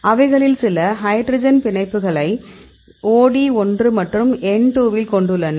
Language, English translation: Tamil, And some of them are having the hydrogen bonds, you can see this is the OD 1 and this N 2